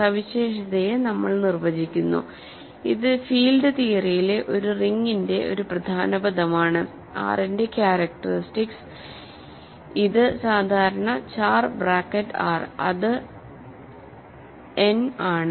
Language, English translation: Malayalam, So, we define the characteristic so, this is an important word in a ring in field theory, characteristic of R which I denote usually by just char bracket R is n ok